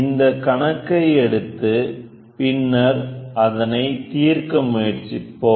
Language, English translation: Tamil, Let us try to take a problem and try to solve this